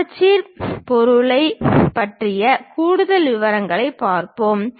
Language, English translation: Tamil, Let us look at more details about the symmetric object